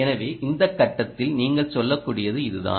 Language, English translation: Tamil, that is all you can say at this stage